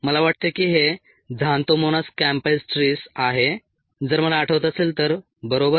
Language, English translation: Marathi, i think this is a xanthomonas campestris, if i remember right